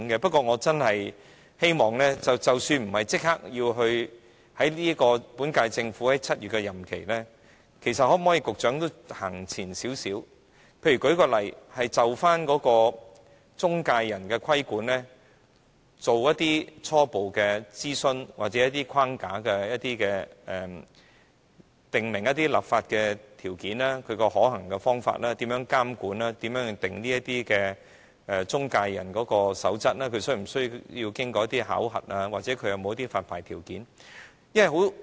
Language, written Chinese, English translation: Cantonese, 不過，我希望即使不是立即在本屆政府任期至7月之前完成，局長可不可以都走前一步，例如就中介人規管進行初步諮詢或訂立框架，訂明一些立法條件和可行的方法，如何監管、如何訂定中介人守則，是否需要經過考核，或者有何發牌條件等。, But even if work cannot be completed by July within the current - term Government I hope that the Secretary can still take a step forward by for instance conducting preliminary consultation or developing a framework to set out some conditions for legislation or feasible methods the manner of regulation the formulation of codes for intermediaries and whether evaluation is necessary or what licensing conditions should be imposed